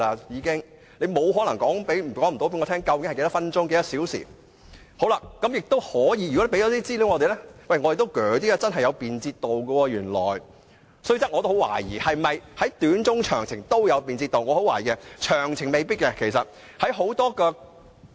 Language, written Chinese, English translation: Cantonese, 如果能向我們提供這些資料，我們也會較信服政府的理據，知道原來高鐵真的很便捷，雖然我也懷疑是否短、中、長途旅程都有便捷度，我懷疑長程未必會有。, If such information can be provided to us we will be more convinced about the Governments justification . Then we will understand that XRL is really a convenient mode of transport although I doubt whether that is the case for short - medium - and long - haul trips . I wonder whether long - haul trips by XRL can really save time